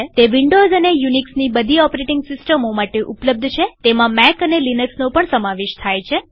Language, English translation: Gujarati, It is available on windows and all unix systems, including Mac and linux